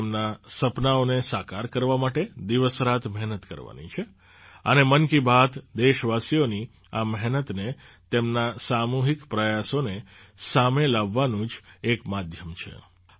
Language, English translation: Gujarati, We have to work day and night to make their dreams come true and 'Mann Ki Baat' is just the medium to bring this hard work and collective efforts of the countrymen to the fore